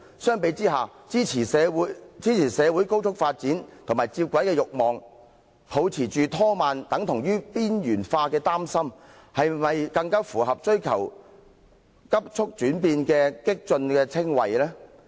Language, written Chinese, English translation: Cantonese, 相比之下，支持社會高速發展和接軌的欲望，抱持"拖慢"等同"邊緣化"的憂心，是否更符合追求急促變化的"激進"稱謂？, By comparison is it not true that those who support the desire for rapid social development and convergence and those who are concerned that slowing down amounts to being marginalized deserve more to be called radicals seeking rapid changes?